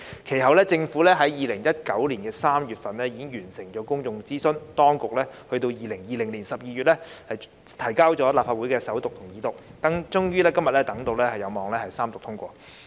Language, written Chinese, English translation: Cantonese, 其後，政府於2019年3月完成公眾諮詢，並於2020年12月將《條例草案》提交立法會進行首讀和二讀，等到今天終於有望三讀通過。, Later the Government completed public consultations in March 2019 and submitted the Bill to the Legislative Council for First Reading and Second Reading in December 2010 . Finally the Bill is expected to be read the Third time and passed today